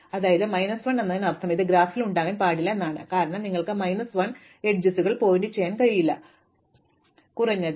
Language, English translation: Malayalam, So, minus 1 means it cannot be in the graph, because you cannot have minus 1 edges pointing you can have at least 0 edges or more